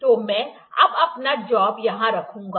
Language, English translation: Hindi, So, I will now put my job here